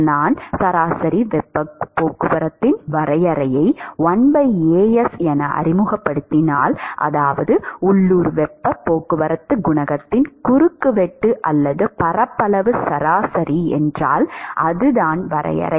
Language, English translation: Tamil, If I introduce the definition of average heat transport as 1 by As, that is, the cross sectional or the area average of the local heat transport coefficient